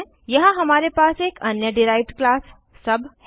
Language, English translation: Hindi, Here we have another derived class as sub